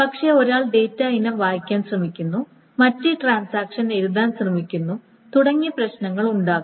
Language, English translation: Malayalam, But there may be problems in the sense that one is trying to read a data item while the other transaction is trying to write